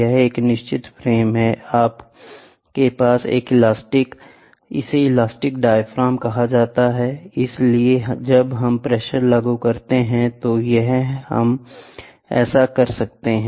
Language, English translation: Hindi, This is a fixed frame, ok, you have an elastic, this is called elastic diaphragm, ok so, here when we apply pressure, ok here can we do that